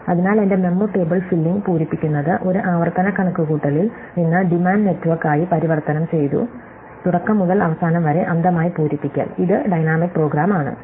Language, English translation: Malayalam, So, I have converted my memo table filling from a recursive computation filling on demand as it were to filling blindly from beginning to end, which is dynamic program